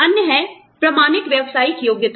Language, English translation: Hindi, The other is bona fide occupational qualification